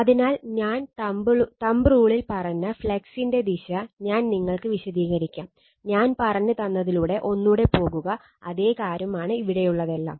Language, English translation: Malayalam, So, the direction of flux I told you the right hand rule, I will just explain you, you go through it whatever I said, same thing it everything it is here